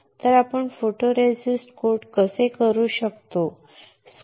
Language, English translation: Marathi, So, how we can we coat the photoresistor